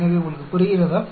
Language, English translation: Tamil, So, you understand